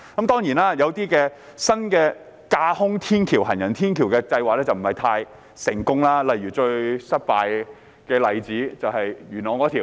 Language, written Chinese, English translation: Cantonese, 當然，一些新的架空行人天橋計劃卻不太成功，例如最失敗的例子便是元朗那項計劃。, Of course some new footbridge projects are less successful . The most unsuccessful one is the project in Yuen Long